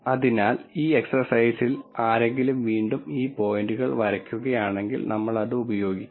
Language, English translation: Malayalam, So, if one were to draw these points again that that we use this in this exercise